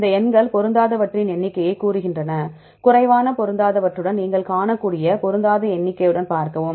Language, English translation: Tamil, These numbers tell the number of mismatches, see with the number of mismatches you can see with less mismatches it took less time